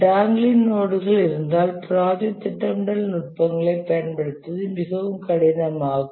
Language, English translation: Tamil, If there are dangling nodes then it becomes very difficult to apply the project scheduling techniques